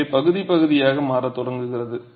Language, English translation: Tamil, So, the section starts becoming partial